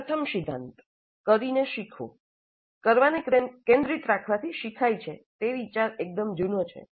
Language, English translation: Gujarati, The first principle, learning by doing, the idea that doing is central to learning, it's fairly old